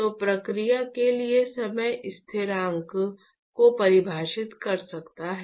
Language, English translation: Hindi, So, one can define time constant for the process